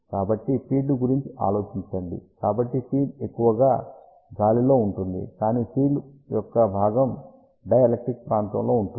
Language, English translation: Telugu, So, think about the field, so field mostly it is in the air, but part of the field is within the dielectric region